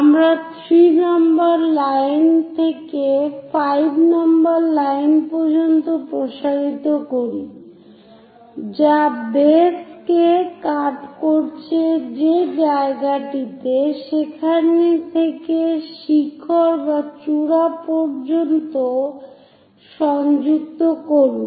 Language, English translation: Bengali, To do that if we are extending 3 line all the way to 5 the place where it is going to cut the base from there connect the point all the way to peak or apex